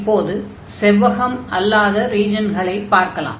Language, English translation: Tamil, So, for non rectangular regions